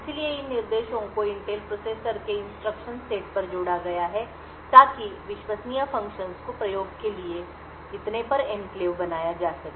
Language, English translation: Hindi, So, these instructions have been added on the instruction set of the Intel processors in order to create enclaves invoke trusted functions and so on